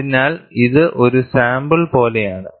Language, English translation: Malayalam, So, this is like a sample